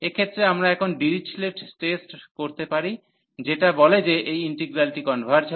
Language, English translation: Bengali, So, in this case we can apply now Dirichlet results Dirichlet test, which says that this integral converges